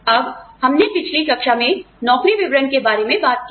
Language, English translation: Hindi, Now, we talked about, job descriptions in a previous class